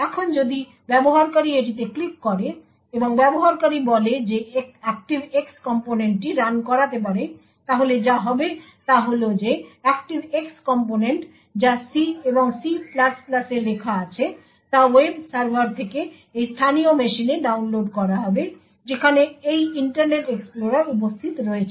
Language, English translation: Bengali, Now if the user clicks on this and the user says that the ActiveX component can run then what would happen is that the ActiveX component which is written in C and C++ would be downloaded from the web server into this local machine where this Internet Explorer is present and that ActiveX component will execute